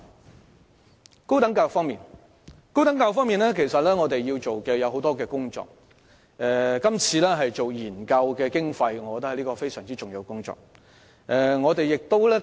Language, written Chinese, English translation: Cantonese, 在高等教育方面，其實我們要做的工作很多，而我認為今次政府對研究工作的撥款是非常重要的一環。, In respect of higher education there is actually a lot to do and I think the funding for research studies undertaken by the Government in this Policy Address is vitally important